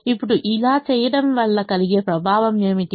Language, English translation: Telugu, now, what is the effect of doing this